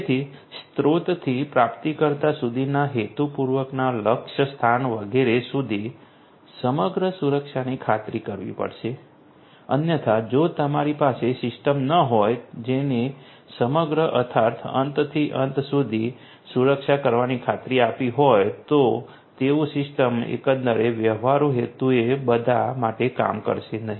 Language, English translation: Gujarati, So, from the source to the receiver to the intended destination etcetera, end to end security has to be ensured otherwise the system if you do not have a system which has ensured end to end security the system as a whole is not going to work for all practical purposes